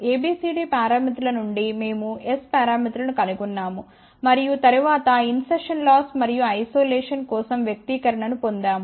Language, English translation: Telugu, From A B C D parameters we found out S parameters and then we had derived the expression for insertion loss and isolation